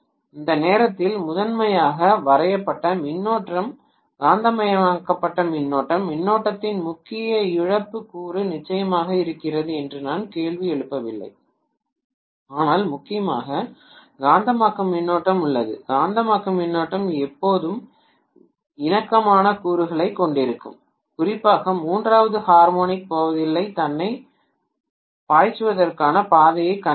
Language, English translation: Tamil, At that point the primarily drawn current is magnetized current, core loss component of current is definitely there I am not questioning that, but there is mainly the magnetizing current, that magnetizing current is going to always have harmonic components and especially third harmonic is not going to find the path for itself to flow